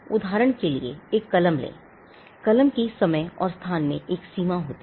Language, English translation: Hindi, Take a pen for instance, the pen has a boundary in time and space